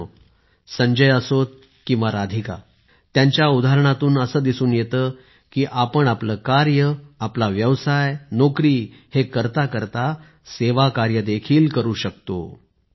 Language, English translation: Marathi, Friends, whether it is Sanjay ji or Radhika ji, their examples demonstrate that we can render service while doing our routine work, our business or job